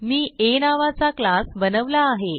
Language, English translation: Marathi, I also have a created a class named A